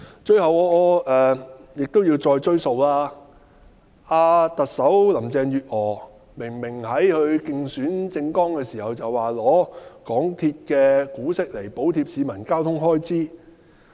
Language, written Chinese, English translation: Cantonese, 最後，我記得行政長官林鄭月娥明明在她的競選政綱中表示，會拿港鐵公司的股息來補貼市民的交通開支。, Lastly I remember the Chief Executive Carrie LAM stated in her election manifesto that she would consider using the Governments dividends from the MTR Corporation to relieve the fare burden of commuters